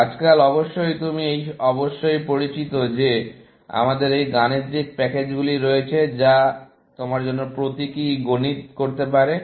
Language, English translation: Bengali, Nowadays, of course, you must be familiar that we have these mathematical packages, which can do symbolic mathematics for you